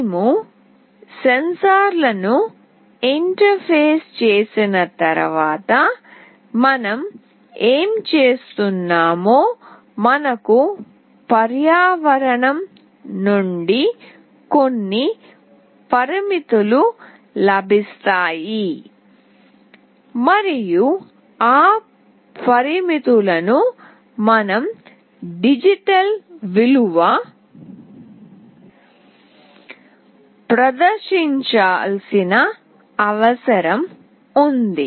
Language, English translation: Telugu, Once we interface the sensors basically what we are doing is, we will be getting some parameters from the environment and those parameters we need to have the digital value displayed